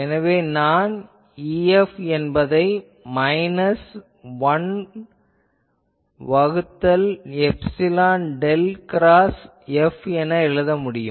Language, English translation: Tamil, So, definitely now I can express E F as minus 1 by epsilon del cross F